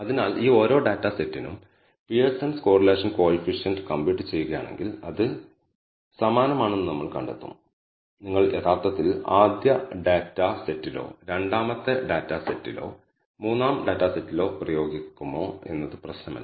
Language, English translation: Malayalam, So, if I apply Pearson’s compute Pearson’s correlation coefficient for each of these data sets we find that it is identical, does not matter whether the, you actually apply into first data set or second data set or the third data set